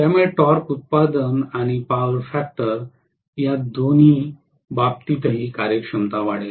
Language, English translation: Marathi, So this will improve the performance in terms of both torque production and the power factor as well both